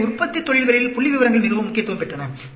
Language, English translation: Tamil, So, statistics became very important in the manufacturing industries